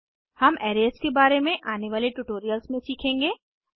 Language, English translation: Hindi, We will learn about arrays in detail in the upcoming tutorials